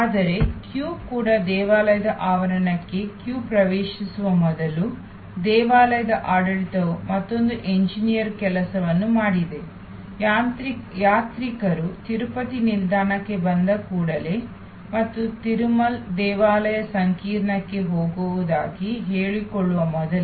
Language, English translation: Kannada, But, even the queue, before the queue enters the temple premises, the temple administration have done another engineers thing, that as soon as the pilgrims arrive at the Tirupati station and even before the claimed again to go to the Tirumal temple complex